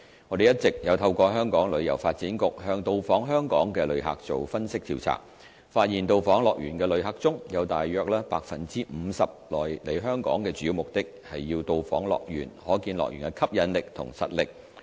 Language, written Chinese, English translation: Cantonese, 我們一直有透過香港旅遊發展局向到訪香港的旅客做分析調查，發現到訪樂園的旅客中，有大約 50% 來香港的主要目的是要到訪樂園，可見樂園的吸引力及實力。, Our on - going analysis of the Hong Kong Tourism Boards survey with inbound visitors revealed that around 50 % of HKDLs visitors cited visiting HKDL as their main purpose of coming to Hong Kong . This demonstrates the attractiveness and strength of HKDL